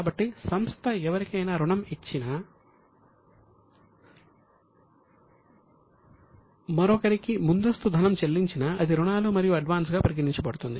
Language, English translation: Telugu, So if company gives loan to somebody or advance to somebody it is considered as a loans and advances